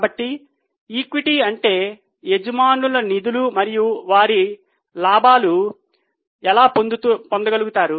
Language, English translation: Telugu, So, equity means owner's funds and what profits they are able to generate